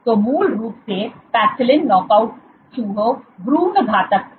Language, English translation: Hindi, So, basically paxillin knockout mice is embryo lethal